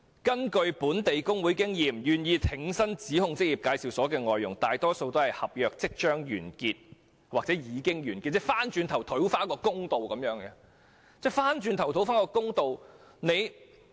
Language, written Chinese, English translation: Cantonese, 根據本地工會的經驗，願意挺身指控職業介紹所的外傭，大多數是合約即將或已經完結的人士，希望透過追溯期討回公道。, From the experience of local labour unions most foreign domestic helpers who are willing to come forward to accuse employment agencies are those whose contracts will soon expire or have expired hoping to see justice done through the retrospective period